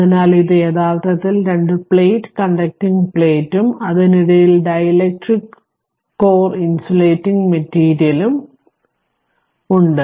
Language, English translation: Malayalam, So, this is actually you have a two plate conducting plate and between you have dielectric we call insulating material right